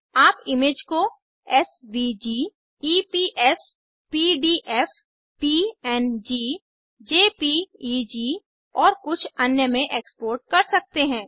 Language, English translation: Hindi, You can export the image as SVG, EPS, PDF, PNG, JPEG and a few others